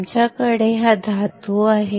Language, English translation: Marathi, We have this metal here